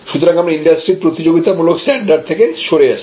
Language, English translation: Bengali, So; that means, you are actually deviating from the competitive standard of the industry standard